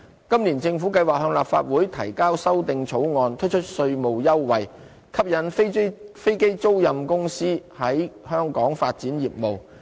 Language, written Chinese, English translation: Cantonese, 今年政府計劃向立法會提交修訂草案，推出稅務優惠，吸引飛機租賃公司在香港發展業務。, This year the Government plans to submit an amendment legislation to the Legislative Council and introduce tax concession to attract aircraft leasing companies to develop business in Hong Kong